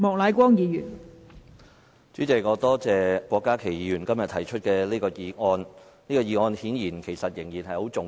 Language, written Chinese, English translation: Cantonese, 代理主席，我感謝郭家麒議員今天提出此項議題，這顯然仍然非常重要。, Deputy President I thank Dr KWOK Ka - ki for moving this motion which obviously is very important